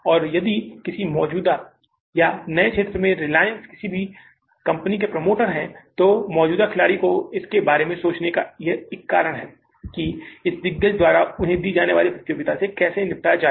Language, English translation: Hindi, And if reliance is behind any sector or be the promoter of any company into any existing or a new area, then the existing players, there is a reason for them to think about that how to deal with this competition given to them by this giant